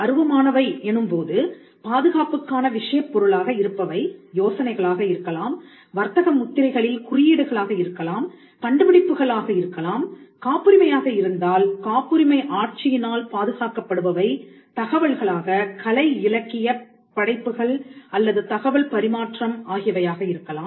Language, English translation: Tamil, Now, intangibles itself could mean it could it could amount to ideas, it could mean signs as in the case of trademarks, it could be inventions the subject matter of protection when it comes to patent law or it could be information, literary artistic works or any form of communication of information which is protected by the copyright regime